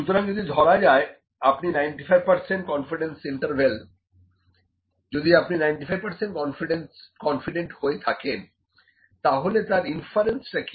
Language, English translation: Bengali, So, if you are 95 percent confidence, if you are 95 percent confident, what is the influence